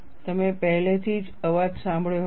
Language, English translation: Gujarati, You have already heard the sound